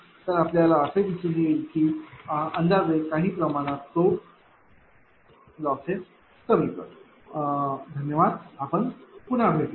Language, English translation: Marathi, So, you will find that approximately that ah to some extent it reduce the losses right Thank you very much we will be back again